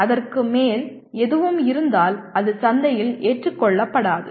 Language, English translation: Tamil, If it has anything more than that it will not be acceptable in the market